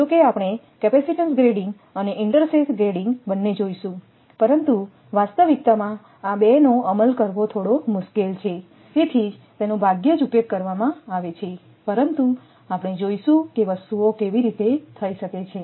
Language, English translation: Gujarati, So, although we will we will go for capacitances grading and intersheath grading, but in reality that implementation of these 2 are bit difficult one, but that is why rarely used, but we will see that how things can be done